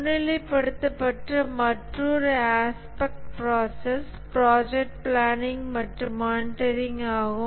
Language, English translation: Tamil, Another aspect process area which is highlighted is the project planning and monitoring